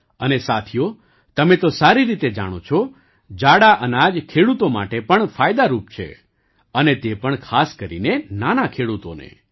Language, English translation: Gujarati, And friends, you know very well, millets are also beneficial for the farmers and especially the small farmers